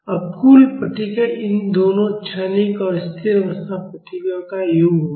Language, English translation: Hindi, Now the total response will be the sum of these two, the transient and the steady state responses